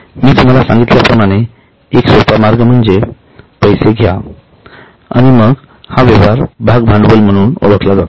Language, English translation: Marathi, As I told you one simple way is take money, give them share, then it will go in item A, that is known as share capital